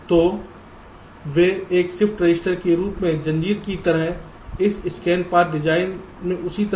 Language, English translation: Hindi, so they chained as a shift register, just like in this scan path design